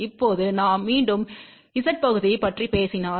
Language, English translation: Tamil, Now, if we thing about again the Z parts